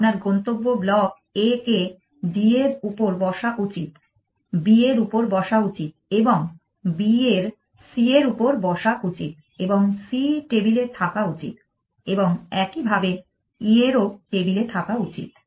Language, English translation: Bengali, Then, you add one further block what do your destination block A should be sitting on D should be sitting on B and B should be sitting on C and C should be on the table and likewise for E should be on the table